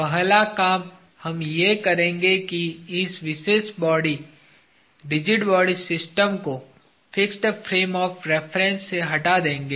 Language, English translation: Hindi, The first exercise we will do is, we will remove this particular body, system of rigid bodies, from the fixed frame of reference